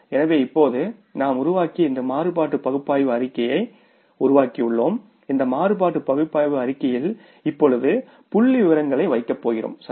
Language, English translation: Tamil, So, now we have created this variance analysis statement we have created and in this variance analysis statement we are going to now put the figures